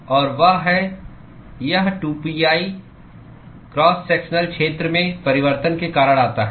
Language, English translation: Hindi, And that is this 2pi comes because of the change in the cross sectional area